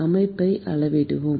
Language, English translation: Tamil, We have quantified the system